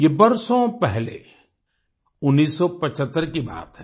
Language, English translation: Hindi, This took place years ago in 1975